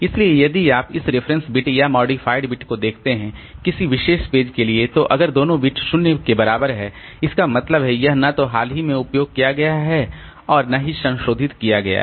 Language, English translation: Hindi, So, if you look into this reference bit and modify bit, so for a particular page, so if both the bits are zero, that means it is neither recently used nor modified